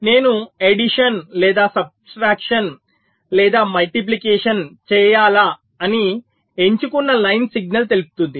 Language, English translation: Telugu, so the select line will give the signal whether i need to do the addition or subtraction or multiplication